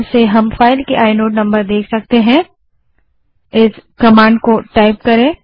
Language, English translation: Hindi, We can use ls space i command to see the inode number of a file